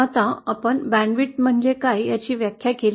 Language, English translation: Marathi, Now we have defined what is the bandwidth